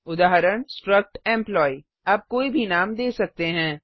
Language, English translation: Hindi, struct employee You can give any name